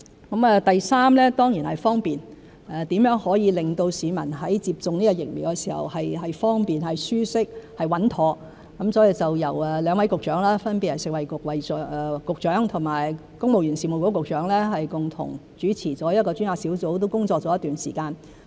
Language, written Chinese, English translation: Cantonese, 第三，是方便性，如何可以令市民在接種疫苗時感到方便、舒適、穩妥，所以由兩位局長，分別是食物及衞生局局長和公務員事務局局長共同主持一個專責小組，小組亦工作了一段時間。, The third aspect is convenience which concerns how to make people feel convenient comfortable and safe when getting vaccinated . Accordingly two Secretaries namely the Secretary for Food and Health and the Secretary for the Civil Service co - chair a taskforce which has been in operation for a while